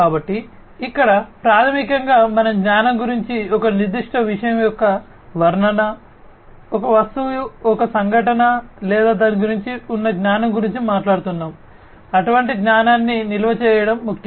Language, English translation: Telugu, So, here basically we are talking about the knowledge, the description of a certain thing, an object an event or something alike the knowledge about it; storing such kind of knowledge is important